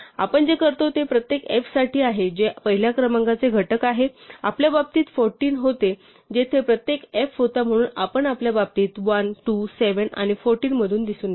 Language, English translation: Marathi, So, what we do is for every f that is a factor of a first number, remember in our case was 14 where each f so we ran through 1, 2, 7 and 14 in our case right